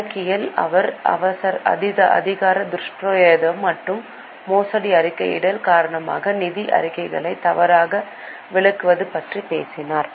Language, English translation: Tamil, In accounting, he talked about mistating financial statements due to abuse of power and fraudulent reporting